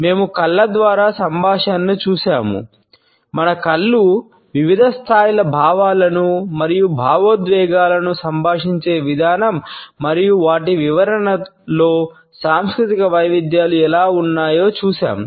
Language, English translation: Telugu, We have looked at communication through eyes, the way our eyes communicate different levels of feelings and emotions, and how the cultural variations in their interpretation exist